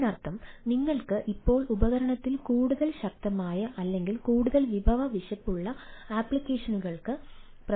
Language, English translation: Malayalam, so that means you can run now more powerful or more resource hungry applications into the device